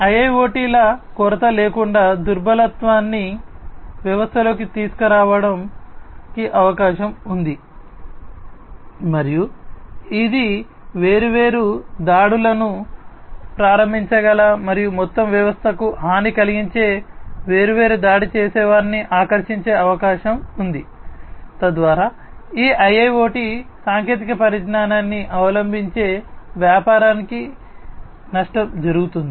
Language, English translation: Telugu, It is possible that without the lack of skills, vulnerabilities might be put in into the system, and which might attract different attackers who can launch different attacks and cause harm to the overall system thereby resulting in loss to the business, who have adopted this IIoT technology